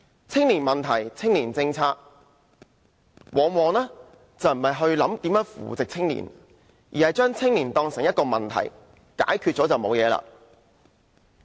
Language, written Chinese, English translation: Cantonese, 青年問題、青年政策，往往並非考慮如何扶植青年，而是把青年當成一個問題，以為解決了便沒有問題。, In respect of youth issues and youth policy the authorities do not target at nurturing young people but simply regard them as a problem thinking that all will be good when the problem is solved